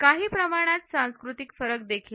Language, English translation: Marathi, There are cultural differences also